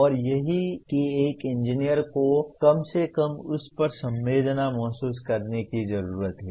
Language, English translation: Hindi, And that is what an engineer needs to at least feel sensitized to that